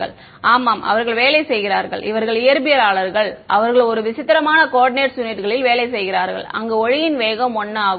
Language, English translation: Tamil, Yeah so, they work these are physicist they work in a strange set of coordinate units where speed of light is 1 ok